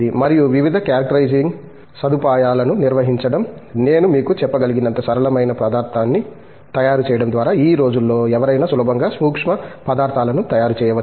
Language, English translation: Telugu, And also, handling various characterizing facilities, just by making a material as simple as I can tell you, anybody can easily make a nanomaterial nowadays